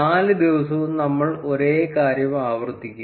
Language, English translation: Malayalam, We will repeat the same thing for all the four days